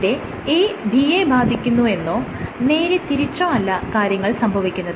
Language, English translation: Malayalam, So, it is not a affects b or b affects a, it is the combination of things